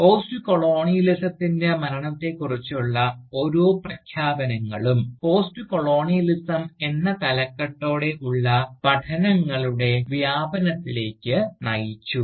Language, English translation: Malayalam, And, each announcement of the death of Postcolonialism, has led to a greater profusion of studies, bearing the title, Postcolonialism